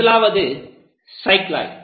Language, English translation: Tamil, The first one is a cycloid